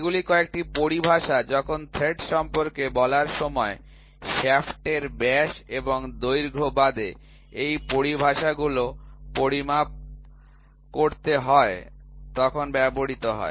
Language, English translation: Bengali, So, these are some of the terminologies, which are used when you have to measure these terminologies apart from the shaft diameter and the length when you talk about threads